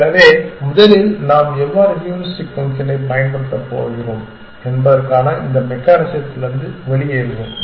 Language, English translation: Tamil, So, first let us get this out of the way this mechanism of how we are going to exploit the heuristic function